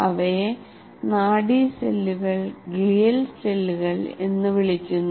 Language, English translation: Malayalam, They are called nerve cells and glial cells